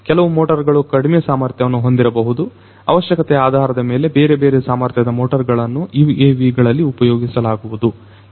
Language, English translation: Kannada, Some motors can be of lower capacity, depending on the requirements different capacity of these motors could be used for these UAVs